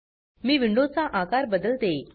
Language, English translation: Marathi, Let me resize the window